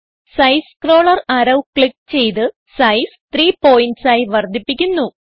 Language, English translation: Malayalam, Click on Size scroller arrow and increase the size to 3.0 pts